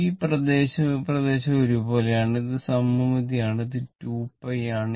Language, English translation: Malayalam, This area and this area, it is same it is symmetrical and this is pi this is 2 pi